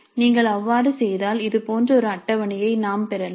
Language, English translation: Tamil, So if you do that then we may get a table like this